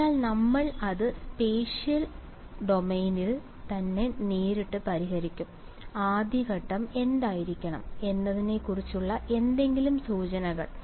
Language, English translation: Malayalam, So, we will solve it directly in the spatial domain itself ok, any hints on what should be the first step